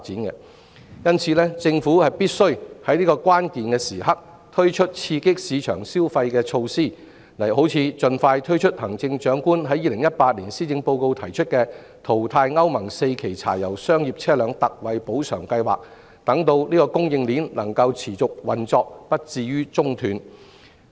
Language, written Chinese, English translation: Cantonese, 因此，政府必須在這個關鍵時刻推出刺激市場消費的措施，例如盡快推出行政長官在2018年施政報告提出的淘汰歐盟 IV 期以前柴油商業車輛特惠補償計劃，讓供應鏈能夠持續運作，不致中斷。, Hence at this critical juncture it is imperative for the Government to roll out measures to stimulate consumer spending . For example the ex - gratia payment scheme for phasing out pre - Euro IV diesel commercial vehicles put forth by the Chief Executive in her 2018 Policy Address should be implemented expeditiously so that the supply chain can continue to operate without disruptions